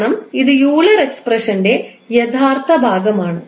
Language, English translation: Malayalam, Because this is the real part of our Euler expression